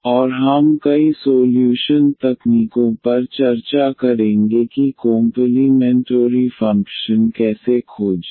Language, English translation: Hindi, And we will discuss many solution techniques how to find complementary function